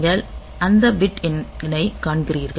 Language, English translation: Tamil, So, you see that bit number